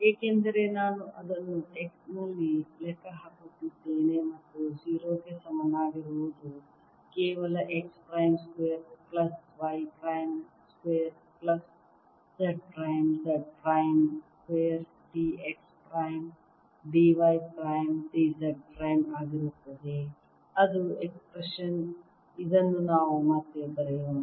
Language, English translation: Kannada, since i am calculating it at x and y equal to zero, is going to be only x prime square plus y prime square plus z minus z prime square d x prime, d y prime, d z prime that's the expression